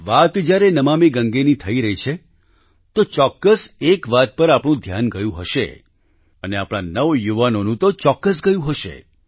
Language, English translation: Gujarati, When Namami Gange is being referred to, one thing is certain to draw your attention…especially that of the youth